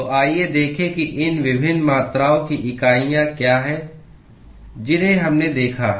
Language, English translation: Hindi, So, let us look at what are the units of these different quantities that we have looked at